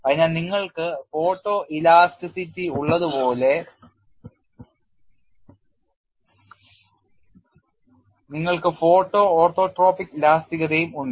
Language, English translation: Malayalam, So, you have like photo elasticity you also have photo orthotropic elasticity